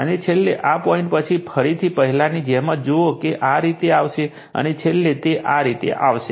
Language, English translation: Gujarati, And finally, again after this point same as before, see it will come like this, and finally it will come like this